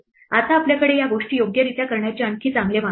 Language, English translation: Marathi, Now, we have now better ways to do these things right